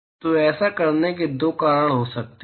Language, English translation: Hindi, So, there could be two reasons for doing this